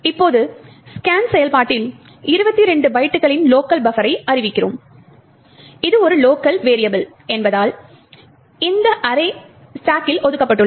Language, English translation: Tamil, Now in the scan function we declare a local buffer of 22 bytes and as we know since it is a local variable this array is allocated in the stack